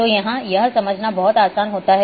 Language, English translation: Hindi, So, here it becomes much easier to understand